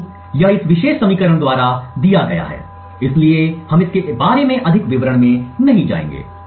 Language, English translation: Hindi, So, this is given by this particular equation, so we will not go more into details about this